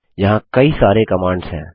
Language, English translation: Hindi, There are many more commands